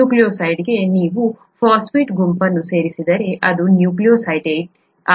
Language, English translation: Kannada, To a nucleoside if you add a phosphate group, it becomes a nucleotide, okay